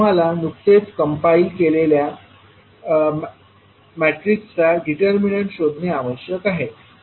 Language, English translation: Marathi, You have to just find out the determinant of the matrix which we have just compiled